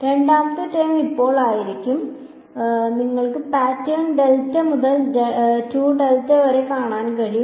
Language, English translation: Malayalam, Second term will be now you can see the pattern delta to 2 delta